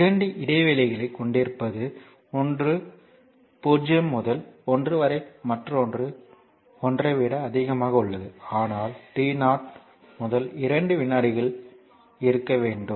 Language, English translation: Tamil, So, that you have 2 intervals one is 0 to 1 and another is t greater than 1, but you have to find out in between 0 to 2 second